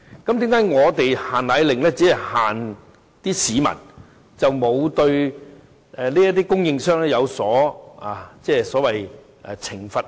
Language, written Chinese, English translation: Cantonese, 為甚麼"限奶令"只監管市民，卻沒有對供應商作出監管，甚至懲罰？, How come the restriction on powdered formula only applies to the general public but not the suppliers and they are not subject to any sanctions?